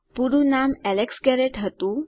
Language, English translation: Gujarati, My fullname was Alex Garrett